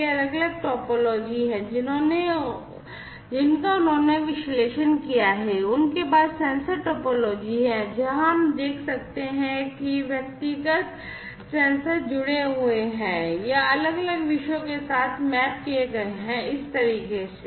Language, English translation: Hindi, These are the different topologies that they have analyzed, they have the sensor topology, where we can see that individual sensors are connected or, mapped with individual separate topics, in this manner